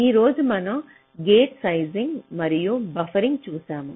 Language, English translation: Telugu, today we have seen gate sizing and buffering